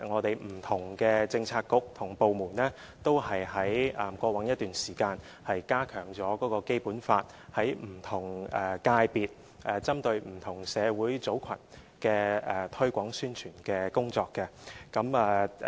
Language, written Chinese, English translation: Cantonese, 不同的政策局和部門在過往一段時間也加強了就《基本法》在不同界別針對不同社會群組的推廣宣傳工作。, Various policy bureaux and departments have over a period of time stepped up the promotion and publicity of the Basic Law targeting different social groups in various sectors of the community